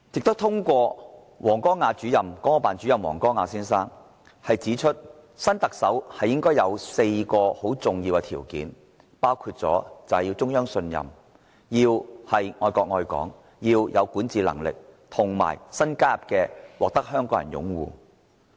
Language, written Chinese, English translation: Cantonese, 國務院港澳事務辦公室主任王光亞先生亦指出，新特首應該符合4項很重要的條件，包括獲中央信任、愛國愛港、有管治能力，再新加入的獲得香港人擁護。, Mr WANG Guangya Director of the Hong Kong and Macao Affairs Office of the State Council also pointed out that the new Chief Executive should meet four crucial criteria trust from the Central Government loving the country and Hong Kong an ability to govern and support from Hong Kong people